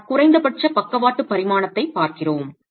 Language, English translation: Tamil, We are looking at the least lateral dimension